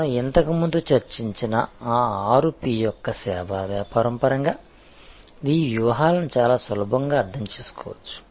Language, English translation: Telugu, These strategies can be understood quite easily in terms of those six P’s of service business that we have discussed before